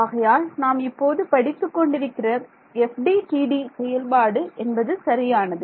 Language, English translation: Tamil, So, I mean this method that we are studying is FDTD right